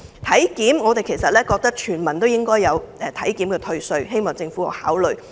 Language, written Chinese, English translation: Cantonese, 體檢方面，我們認為全民都應該有體檢退稅，希望政府可以考慮。, Regarding body check we hold that all people should be entitled to tax exemption for conducting body checks . I hope the Government can consider these suggestions